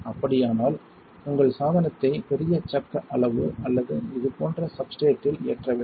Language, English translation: Tamil, If that is the case you must mount your device on a bigger chuck size or a substrate like this